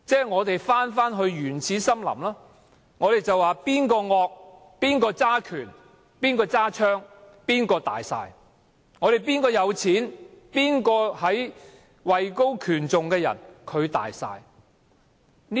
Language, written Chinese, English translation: Cantonese, 我們猶如回到原始森林，兇惡的、掌權的、持槍的，可以說了算，有錢的、位高權重的，也可以說了算。, It seems that we have fallen back into the jungle where people with force power and weapons can have the final say; those with money status and prestige can have the final say too